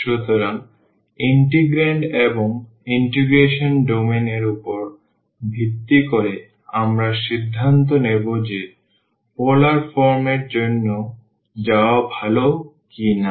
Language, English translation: Bengali, So, based on the integrand of the integral as well as the domain of integration we will decide whether it is better to go for the polar form